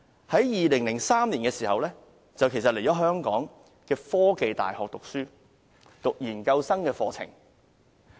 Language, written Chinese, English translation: Cantonese, 在2003年，他在香港科技大學修讀研究生課程。, In 2003 he enrolled on a postgraduate programme in The Hong Kong University of Science and Technology UST